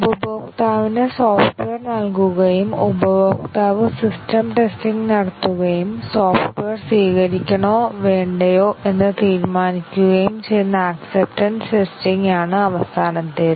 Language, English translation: Malayalam, And then the final is the acceptance testing, where the customer is given the software and the customer carries out the system testing and decide whether to accept the software or reject it